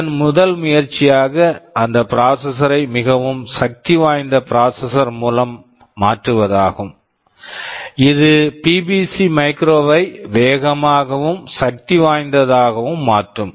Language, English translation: Tamil, TSo, the first attempt of these people were was to replace that processor by a better processor more powerful processor, which will make the BBC micro faster and more powerful ok